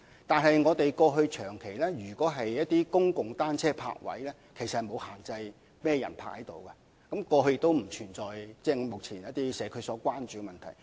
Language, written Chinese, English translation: Cantonese, 但是，過去長期以來，政府提供的公共單車泊位並無限制甚麼人使用，過去亦不存在一些目前備受社區關注的問題。, But the public bicycle parking spaces provided by the Government have never been restricted to any specific category of users and all those issues that attract so much community concern now did not exist in the past either